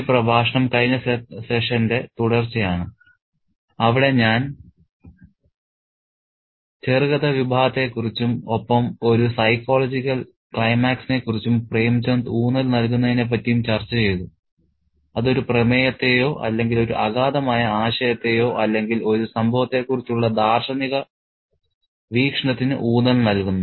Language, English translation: Malayalam, This lecture is a continuation of the previous session where I discussed the short story genre and Premchen's emphasis on a psychological climax which emphasizes the theme or a profound idea or a philosophical perspective over an incident